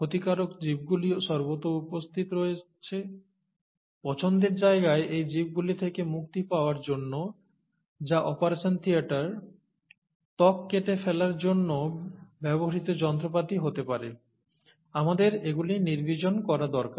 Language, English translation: Bengali, The harmful organisms are also present everywhere, and to get rid of these organisms in the place of interest, which happens to be the operation theatre, the instruments which are used to cut the skin and so on, we need to sterilize them